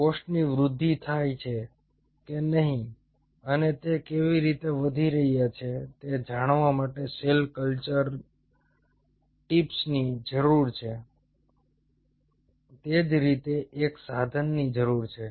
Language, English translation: Gujarati, we have the cell culture tools which will tell you the cells are growing or not and how they are growing